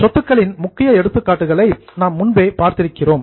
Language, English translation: Tamil, In the assets, we are already seeing the major examples of assets